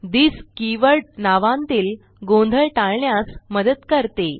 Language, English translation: Marathi, this keyword helps us to avoid name conflicts